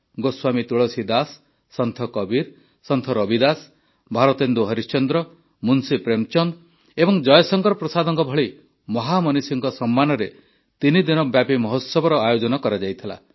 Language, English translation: Odia, A threeday Festival was organized in honour of illustrious luminaries such as Goswami Tulsidas, Sant Kabir, Sant Ravidas, Bharatendu Harishchandra, Munshi Premchand and Jaishankar Prasad